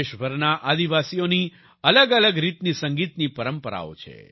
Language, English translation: Gujarati, Tribals across the country have different musical traditions